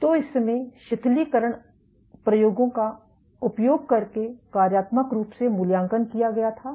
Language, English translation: Hindi, So, this was assessed functionally using a relaxation experiments